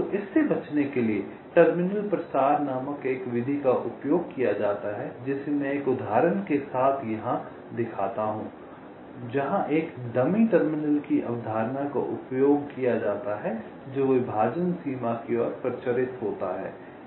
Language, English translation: Hindi, ok, so to avoid this, a method called terminal propagation is used, which i shall be illustrating with an example, where the concept of a dummy terminal is used which is propagated towards the partitioning boundary